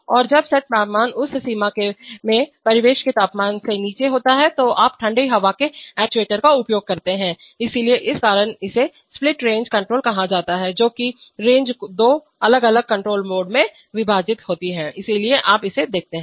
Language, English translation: Hindi, And when the set temperature is below the ambient temperature in that range, you use the cold air actuator, so, this is why it is called a split range control because the range is split into two different control modes, so you see that